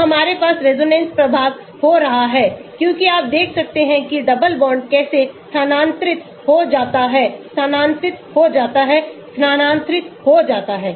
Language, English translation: Hindi, So, we have resonance effect happening as you can see how the double bond get shifted, shifted, shifted